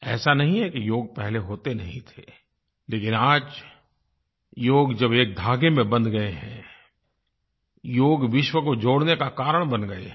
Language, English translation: Hindi, It isn't as if Yoga didn't exist before, but now the threads of Yoga have bound everyone together, and have become the means to unite the world